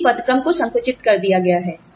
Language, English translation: Hindi, But, the grades have been compressed